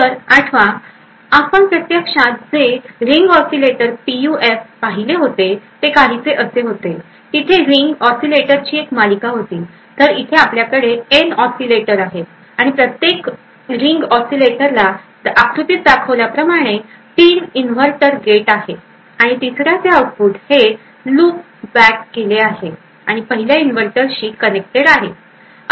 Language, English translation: Marathi, So recollect that we actually looked at Ring Oscillator PUF which was something like this, so there were a series of ring oscillators, over here we had N oscillators and each ring oscillator had in this figure at least has 3 inverter gates, and output of the 3rd one is actually looped back and connected to the 1st inverter